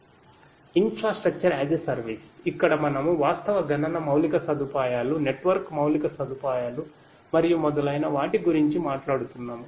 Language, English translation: Telugu, Infrastructure as a service, here we are talking about the actual computational infrastructure, the network infrastructure and so on